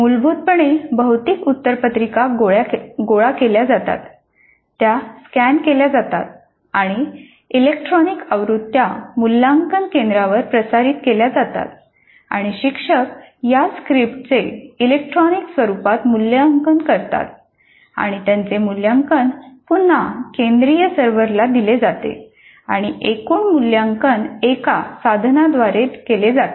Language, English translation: Marathi, Basically the answer sheets, physical answer sheets are collected, they are scanned and the electronic versions are transmitted to the evaluation centers and the instructors evaluate these scripts in the electronic form and their evaluations are again fed back to the central servers and the total evaluation is done by a tool